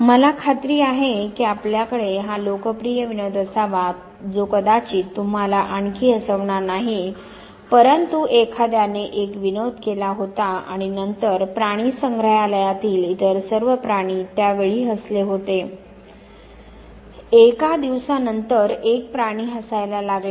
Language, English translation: Marathi, I am sure you must have hard this popular joke which perhaps does not make you laugh any more but somebody had cut a joke and then all other animals in the zoo laughed at the time in joke was cut; one animal started laughing a day later